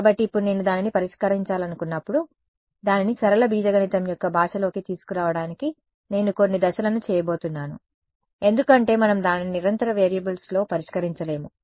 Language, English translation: Telugu, So now, when I want to solve it, I am going to make a few steps to get it into the language of linear algebra right because we do not solve it in continuous variables we discretize it